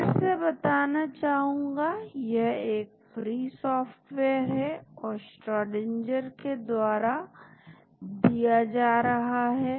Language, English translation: Hindi, Again this is free software and distributed by Schrodinger